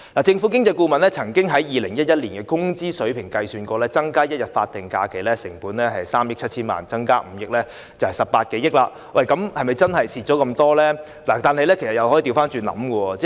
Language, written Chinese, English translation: Cantonese, 政府經濟顧問曾經按2011年工資水平，計算出增加1天法定假日的成本是3億 7,000 萬元，而增加5天就是18多億元，但是否真的有損失呢？, On the basis of the wage level in 2011 the Government Economist has arrived at the conclusion that the cost of an additional statutory holiday was 370 million while the cost of five additional days of statutory holiday was more than 1.8 billion . However will there really be any loss?